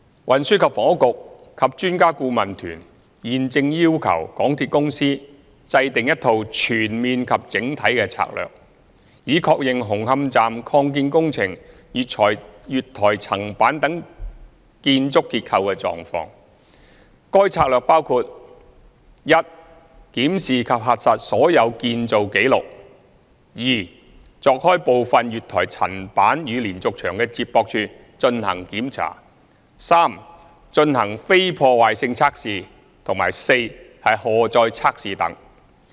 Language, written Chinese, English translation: Cantonese, 運輸及房屋局和專家顧問團現正要求港鐵公司制訂一套全面及整體的策略，以確認紅磡站擴建工程月台層板等建築結構的狀況，該策略包括︰一檢視及核實所有建造紀錄；二鑿開部分月台層板與連續牆的接駁處進行檢查；三進行非破壞性測試；及四荷載測試等。, The Transport and Housing Bureau and the Expert Adviser Team are now requesting MTRCL to formulate a comprehensive and holistic strategy to ascertain the building structural condition of among others the platform slab of the Hung Hom Station Extension works which would include 1 reviewing and verifying all construction records; 2 breaking open a portion of the concrete connecting the platform slab and the diaphragm wall for inspection; 3 conducting non - destructive tests; and 4 load tests